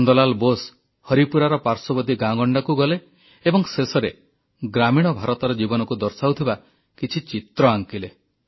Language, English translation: Odia, Nandlal Bose toured villages around Haripura, concluding with a few works of art canvas, depicting glimpses of life in rural India